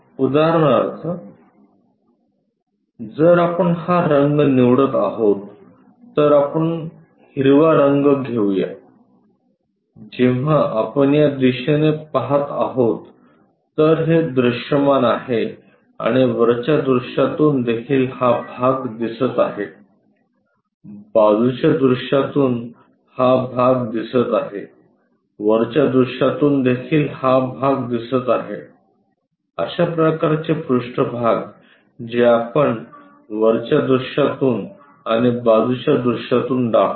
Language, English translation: Marathi, For example; if we are picking this color this greenish one let us pick green, when we are looking from this direction this is visible and also from top view this portion is visible, from side view this portion is visible, from top view also this portion is visible, such kind of surfaces what we have shown visible from both top view and side view